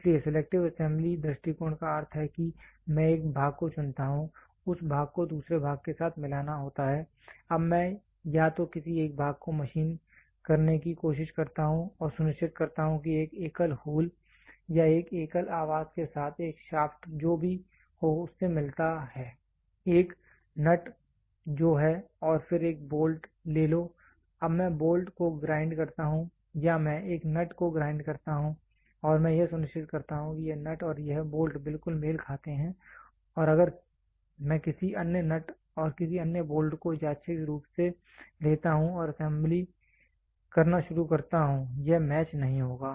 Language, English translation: Hindi, So, selective assembly approach means for I pick one part that part has to be mated with another part, now I either try to machine any one of the part and make sure a single shaft mates with a single hole or with a single housing whatever it is a, a taken nut which is and then take a bolt, now I grind the bolt or I grind a nut and I make sure this nut and this bolt exactly match and if I take any other nut and any other bolt randomly and start doing the assembly it will not match